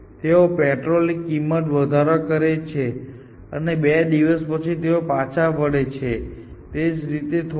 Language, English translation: Gujarati, So, they would increase the petrol prices and after two days roll it back or something, little bit like that